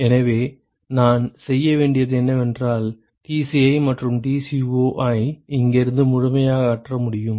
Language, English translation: Tamil, So, all I have to do is now, to it completely I can eliminate Tci and Tco from here